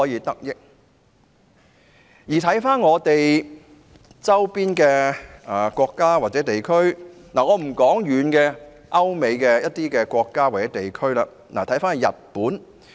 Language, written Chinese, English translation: Cantonese, 我不談距離香港較遠的歐美國家或地區，且看我們鄰近的國家或地區，例如日本。, Let us not talk about the situation in Europe and America which are far away from Hong Kong; instead let us look at our neighbouring countries or regions such as Japan